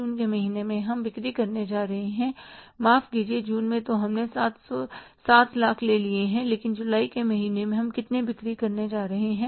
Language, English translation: Hindi, The month of June we are going to make the sales is say, sorry, June we have taken several lakhs but in the month of July how much we are going to sell